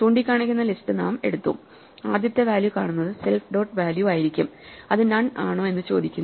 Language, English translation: Malayalam, We just take the list we are pointing to and look at the very first value which will be self dot value and ask whether it is none